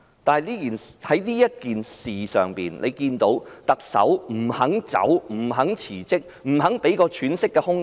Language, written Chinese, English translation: Cantonese, 但我們看到特首不肯落台、不肯辭職、不肯給我們一個喘息的空間。, But we see that the Chief Executive refuses to step down and resign unwilling to give us a breathing space